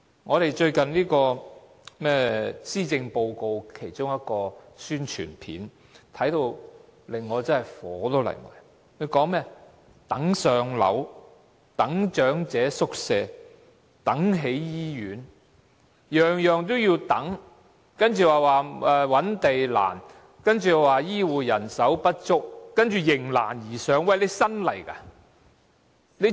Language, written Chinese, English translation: Cantonese, 我看到最近有關施政報告和財政預算案的一段宣傳短片，感到十分憤怒，它說"等上樓，等長者宿位，等起醫院"，樣樣也要等，然後說覓地難，又說醫護人手不足，接着說"迎難而上"——特首是新上任的嗎？, I felt very furious after watching an announcement of public interest recently concerning the Policy Address and the Financial Budget . It says Wait for housing wait for elderly care homes wait for new hospitals . We have to wait for everything